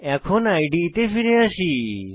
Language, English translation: Bengali, Now, come back to the IDE